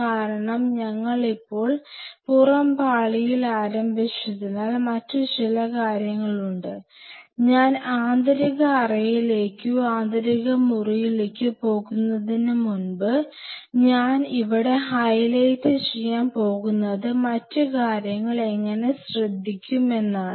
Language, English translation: Malayalam, Because we have just started on the outer layer and there are few other things, what I am going to highlight here before I move into the inner chamber or the inner culture room, where other things will be taking care